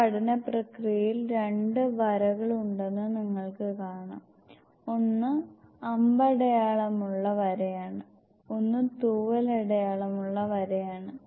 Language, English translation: Malayalam, In these apprentices you can see that there are two lines one is an arrow headed line, one is a feather headed line